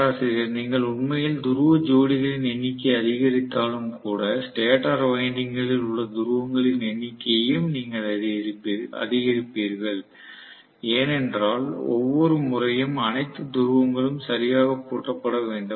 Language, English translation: Tamil, See even if you actually increase the number of pole pairs correspondingly you would also have increased the number of poles in the stator winding because you want every time, all the poles to lock up properly